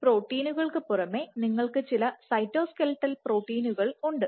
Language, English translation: Malayalam, So, they are still cytoskeletal proteins